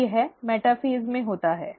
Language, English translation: Hindi, So that happens in metaphase